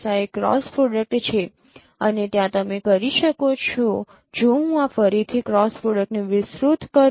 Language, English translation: Gujarati, This is the cross product and there as you can if I expand this cross product once again